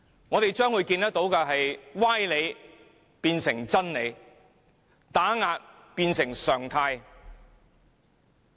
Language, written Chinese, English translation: Cantonese, 我們將會看到歪理變成真理，打壓變成常態。, We will see sophistry portrayed as the truth and we will also see suppression becoming a rule